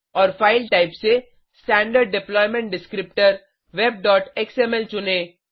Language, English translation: Hindi, And From the File Types, choose Standard Deployment Descriptor(web.xml)